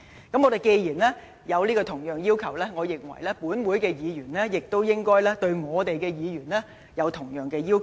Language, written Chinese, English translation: Cantonese, 既然我們提出了這樣的要求，我認為亦應對各位議員有同樣的要求。, Given that we have imposed such requirements I think the same requirements should also apply to Members